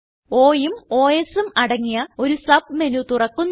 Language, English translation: Malayalam, A Submenu opens with O and Os